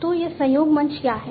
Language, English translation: Hindi, So, what is a collaboration platform